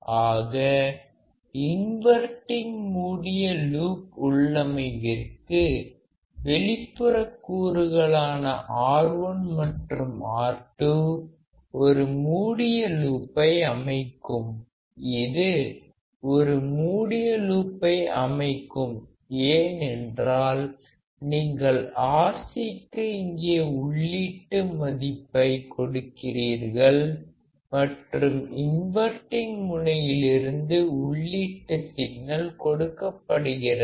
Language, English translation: Tamil, So, for the inverting close loop configuration, external components such as R1 and R2 form a close loop; This forms a closed loop because you are feeding Rc here and the input signal is applied from the inverting terminal